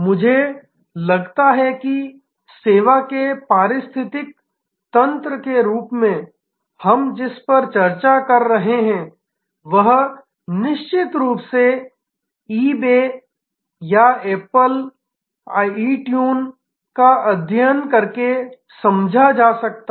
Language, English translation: Hindi, I think what we have been discussing as service ecosystem can be of course, understood by studying eBay or apple itune